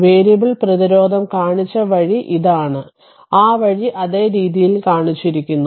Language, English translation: Malayalam, And this is the way we have shown the your variable resistance that way we have shown same way